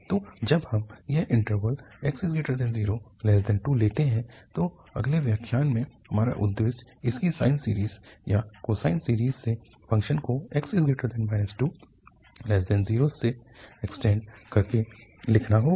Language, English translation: Hindi, So, when we take this interval 0 to 2 in the next lecture, our aim will be to write down its sine series or cosine series by extending the function from minus 2 to 0